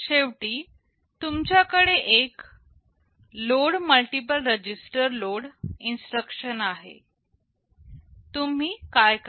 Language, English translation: Marathi, Now at the end you have a matching load multiple register load instruction, what you do